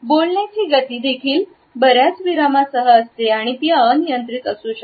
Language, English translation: Marathi, The speed of speaking is also accompanied by several pauses these may be uninternational also